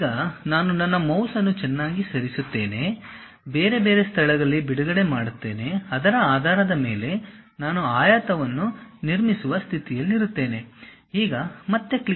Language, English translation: Kannada, Now, I just nicely move my mouse, release at different locations, based on that I will be in a position to construct a rectangle